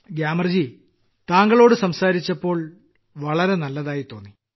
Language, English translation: Malayalam, Gyamar ji, it was a pleasure talking to you